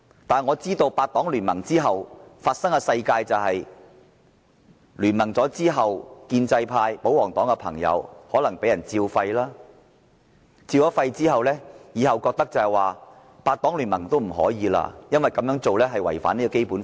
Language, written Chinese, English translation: Cantonese, 但是，我知道八黨聯盟之後，建制派、保皇黨的朋友可能被"照肺"，以致他們覺得以後也不可以再八黨聯盟，因為這樣做是違反《基本法》。, But as far as I know after that incident pro - establishment Members and royalists were asked to go and listen to instructions . They have not taken any similar actions ever since because doing so is against the Basic Law